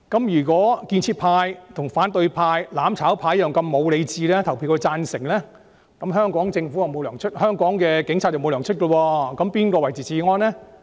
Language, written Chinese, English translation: Cantonese, 若建設派如反對派、"攬炒派"般失去理智，表決時投贊成票，那麼香港警察便不獲發薪，那誰來維持治安？, If the constructive camp has lost its sanity like the opposition camp and the mutual destruction camp and votes for the amendment the Hong Kong Police will not be paid their salaries . Then who will maintain law and order?